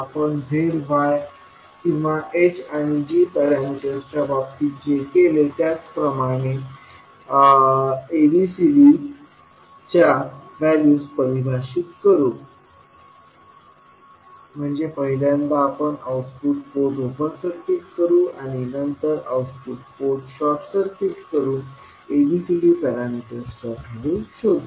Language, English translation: Marathi, We will define the values of ABCD similar to what we did in case of Z Y or in case of H and G parameters, means we will first open circuit the output port and then we will short circuit the output port and find out the value of ABCD parameters